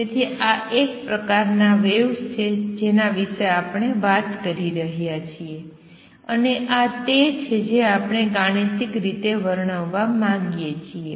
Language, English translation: Gujarati, So, this is a kind of waves we are talking about and this is what we want to describe mathematically